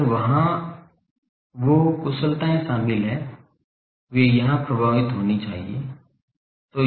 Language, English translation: Hindi, If there are those efficiencies involved that should be affected into here